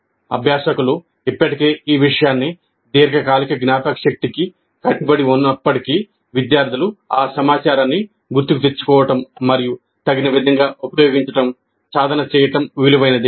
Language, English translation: Telugu, So even if the learners have already committed this material to long term memory, it is worthwhile to help students practice recalling that information and using it appropriately